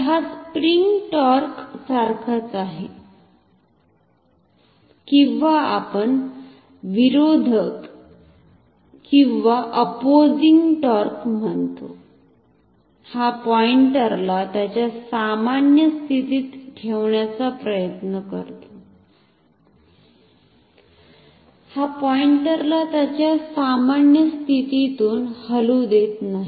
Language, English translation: Marathi, So, this is same as the spring torque or we say the opposing torque, this tries to hold the pointer in its normal position, it does not allow the pointer to move from it is normal pointer